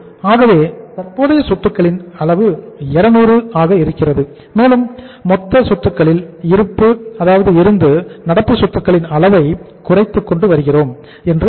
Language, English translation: Tamil, And we are saying here that the total assets are coming down that is change in the current assets so it means the 200 level of the current assets and we are going to reduce the level of current assets from the total assets